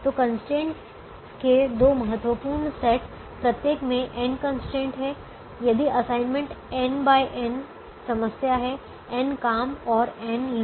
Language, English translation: Hindi, so the two important sets of constraints each has n constraints if the assignment is a, n by n, n problem, n jobs and n people